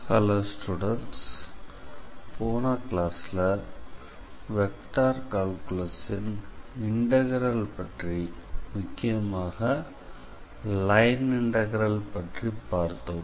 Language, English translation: Tamil, So, in the previous class, we started with the integral aspects of Vector Calculus and we started with line integral actually